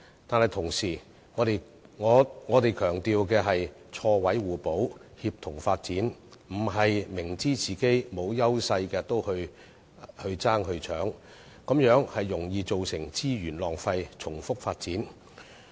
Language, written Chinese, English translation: Cantonese, 但同時，我們強調的是錯位互補，協同發展，而不是明知自己沒有優勢也進行競爭，這樣容易造成資源浪費、重複發展。, Yet instead of looking for a share in uncompetitive industries thus liable to a waste of resources and overlap development we should put emphasis on the complementarity of staggered developments to achieve synergies